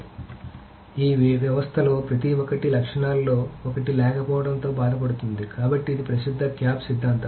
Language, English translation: Telugu, So every of these systems has suffered from one lack of one of the properties So that's the famous CAP theorem